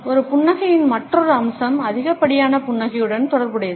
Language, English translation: Tamil, Another aspect of a smile is related with too much smiling